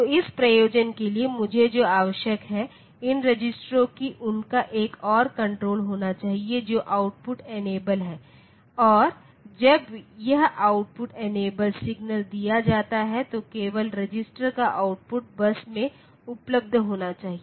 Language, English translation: Hindi, So, for that purpose what I need is these registers they should have another control which is output enable and when this output enable signal is given then only the output of the register be available on to the bus